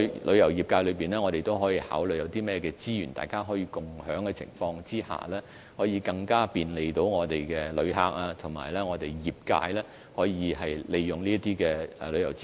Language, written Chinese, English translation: Cantonese, 旅遊業界亦可考慮有甚麼資源大家可以共享，亦可更加方便我們的旅客，而業界亦可考慮如何更好利用這些旅遊資源。, The tourism industry can also consider what resources can be shared and can provide greater convenience to our visitors . The industry can also consider how to better utilize the tourism resources which involves an extensive scope